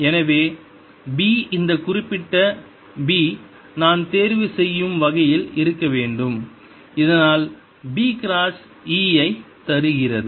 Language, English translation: Tamil, so b has to be such that i would choose this particular b so that b cross e gives me i